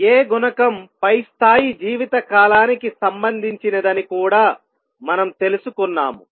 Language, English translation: Telugu, We also learnt that A coefficient is related to the lifetime of the upper level